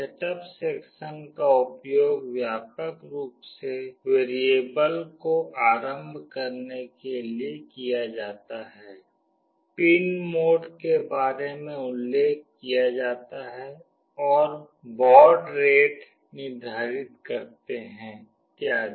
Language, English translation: Hindi, The setup section is widely used to initialize the variables, mention about the pin modes and set the serial baud rate etc